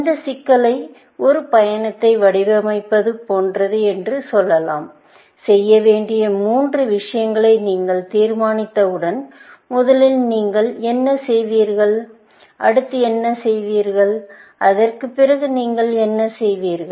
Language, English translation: Tamil, Let us call this problem as designing an outing, and the goal state is, when you have decided upon the three things, that you will do; what will you do first; what will you do next; and what will you do after that